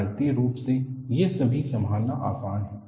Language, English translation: Hindi, These are all easy to handle mathematically